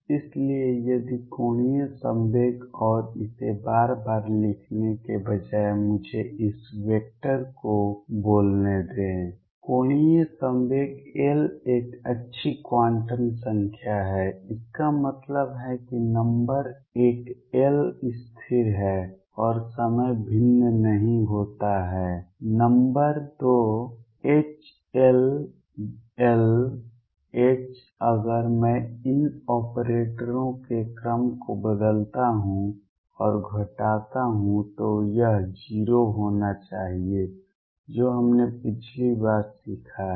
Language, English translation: Hindi, So, if angular momentum and rather than writing it again and again let me call this vector , angular momentum L is a good quantum number this means number one L is a constant and time it does not vary, number 2 H L minus L H if I change the order of these operators and subtract this should be 0 this is what we have learnt last time